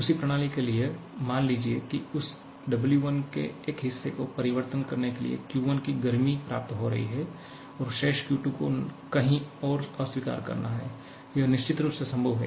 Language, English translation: Hindi, To the same system, suppose it is receiving Q1 amount of heat converting a part of that W1 and rejecting the remaining Q2 to somewhere else, this is definitely possible